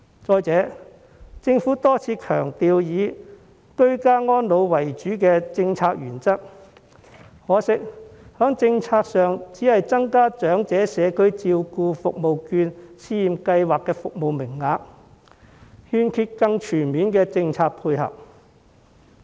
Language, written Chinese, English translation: Cantonese, 再者，政府多次強調以居家安老為主的政策原則，但可惜在政策上只增加長者社區照顧服務券試驗計劃的服務名額，欠缺更全面的政策配合。, Moreover the Government has repeatedly emphasized ageing in the community as the policy principle . Yet it has only increased the service quota under the Pilot Scheme on Community Care Service Voucher for the Elderly but failed to introduce more comprehensive support policies